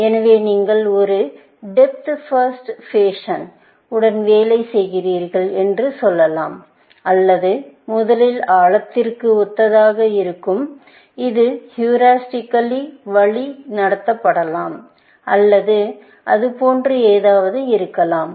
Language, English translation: Tamil, So, let us say that you are working in a depth first fashion, essentially, or something similar to depth first where, this may be, heuristically guided or something, like that